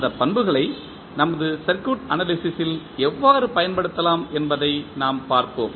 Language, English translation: Tamil, And we will see how we can use those properties in our circuit analysis